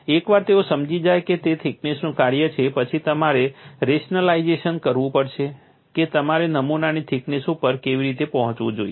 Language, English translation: Gujarati, Once they understood it is a function of thickness, then you have to have a rationalization, how you should arrive at the thickness of the specimen